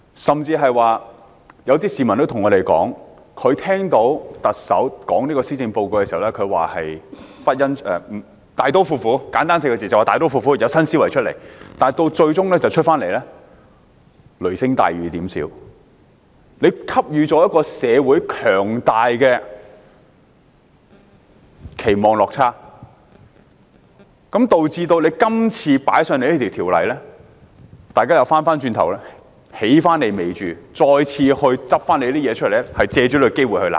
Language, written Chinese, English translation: Cantonese, 甚至有些市民告訴我們，他們聽到特首公布施政報告時，希望的是簡單來說"大刀闊斧 "4 個字，要有新思維，但施政報告最終是雷聲大、雨點小，令社會有強大的期望落差，導致政府今次提交這項《條例草案》時，大家便回頭"起你尾注"，翻政府舊帳，藉此機會罵政府。, Some members of the public even told us that when listening to the Chief Executives speech on the Policy Address they looked forward to something drastic―simply put―and accompanied by new thinking but the Policy Address turned out to be a damp squib falling far short of social expectations . Consequently now that the Government has introduced the Bill people turn the tables on the Government and settle old scores with it seizing this chance to give it both barrels